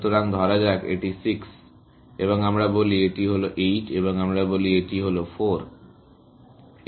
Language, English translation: Bengali, So, let us say, this is 6 and let us say, this is 8 and let us say, this is 4 and let us say, this is also, 4